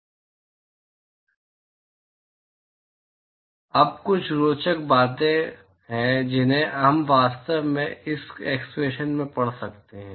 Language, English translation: Hindi, Now, there are some interesting things that we can actually read from this expression